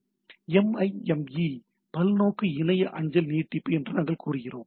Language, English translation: Tamil, So that is a SMTP extension what we say MIME multipurpose internet mail extension